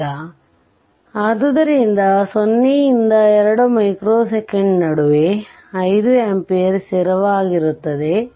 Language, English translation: Kannada, Now, therefore, in between your 0 to 2 micro second, it is 5 ampere, it is 5 ampere